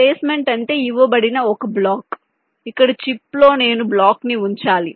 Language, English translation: Telugu, placement means given a block where in the chip i have to place the block